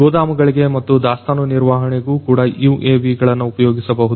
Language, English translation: Kannada, For warehousing and inventory control as well UAVs could be used